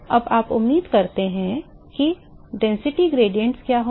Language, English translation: Hindi, Now what do you expect the density gradients to be